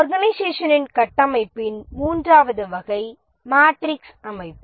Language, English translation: Tamil, The third category of organization structure is the matrix organization